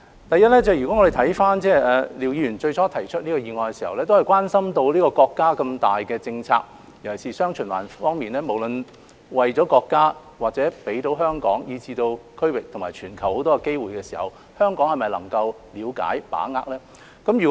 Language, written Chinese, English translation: Cantonese, 第一，廖議員最初提出議案的時候，是關心國家的大政策，尤其是"雙循環"方面，無論為國家或香港以至區域及全球提供眾多機會時，香港是否可以了解和把握？, Firstly Mr LIAO initially proposed this motion out of his concern about the general policies of the country especially the dual circulation strategy and whether Hong Kong could understand and grasp the many opportunities presented to the country Hong Kong the region or even the entire world